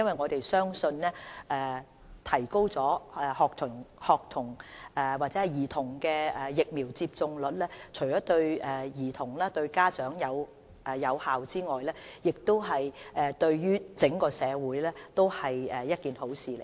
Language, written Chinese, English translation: Cantonese, 我們相信提高兒童的疫苗接種率，不單對兒童和家長有益，對整個社會也是好事。, We believe raising the take - up rate is not only beneficial to the children and their parents but also the community at large